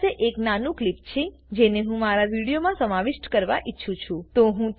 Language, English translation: Gujarati, I have a small clip that I would like to include into my video